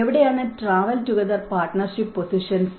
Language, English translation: Malayalam, Where are the travel together partnership positions